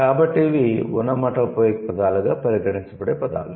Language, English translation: Telugu, So, these are the words which could be considered as onomatopic words